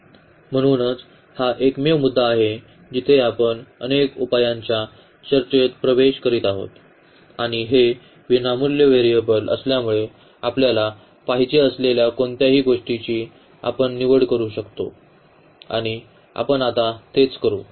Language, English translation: Marathi, So, this is exactly the point where we are entering into the discussion of the infinitely many solutions and since this is free variable so, we can choose anything we want and that is what we will do now